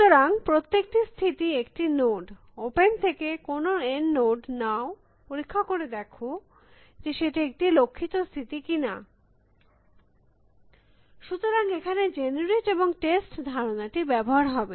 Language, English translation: Bengali, So, each state is a note, take some note N from open, test whether it is a goal state, so the generate and test idea